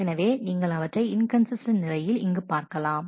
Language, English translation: Tamil, So, you have seen inconsistent state in terms of here